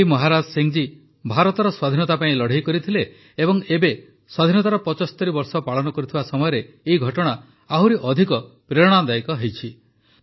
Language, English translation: Odia, Bhai Maharaj Singh ji fought for the independence of India and this moment becomes more inspiring when we are celebrating 75 years of independence